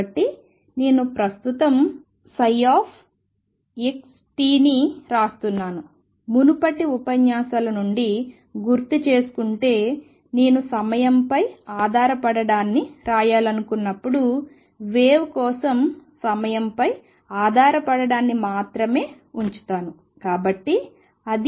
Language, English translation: Telugu, So, I am not right now psi x comma t and recall from earlier lectures, that when I want to write the time dependence I will just put in the time dependence as happens for a wave